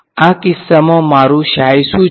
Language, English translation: Gujarati, What is my psi in this case